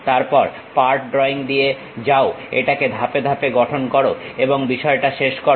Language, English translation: Bengali, Then, you go with part drawing construct it step by step and finish the thing